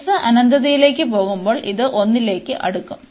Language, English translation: Malayalam, So, as x goes to infinity, this will approach to 1